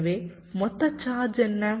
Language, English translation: Tamil, so what is the total charge